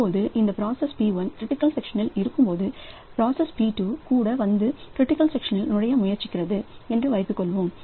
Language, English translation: Tamil, Now when this process p1 is in critical section suppose p2 also comes and it tries to enter into the critical section